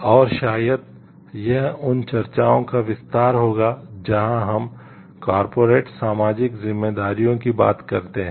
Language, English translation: Hindi, And maybe this will be the extension of the discussions where we talk of corporate social responsibilities